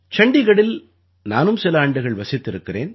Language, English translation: Tamil, I too, have lived in Chandigarh for a few years